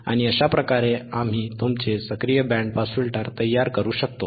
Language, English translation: Marathi, aAnd this is how we can create your active band pass filter, right